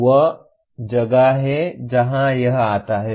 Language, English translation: Hindi, That is where it comes